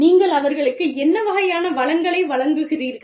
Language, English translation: Tamil, What kinds of resources, do you provide them